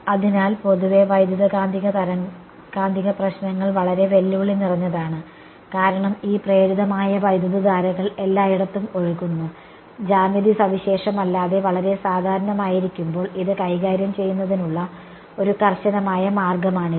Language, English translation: Malayalam, So, in general and electromagnetic problems are very challenging because of these induced currents floating around everywhere and this is one rigorous way of dealing with it when the geometry is very general need not be some very specific thing ok